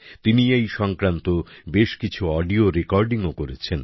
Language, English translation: Bengali, He has also prepared many audio recordings related to them